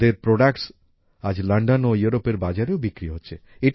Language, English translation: Bengali, Today their products are being sold in London and other markets of Europe